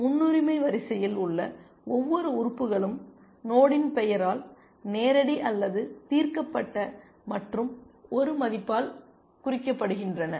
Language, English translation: Tamil, And each element in the priority queue is represented by the name of the node by a value which is either live or solved and a bound